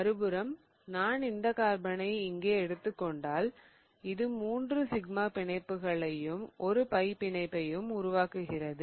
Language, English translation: Tamil, On the other hand, if I take this carbon here, this carbon is forming 3 sigma bonds and 1 pi bond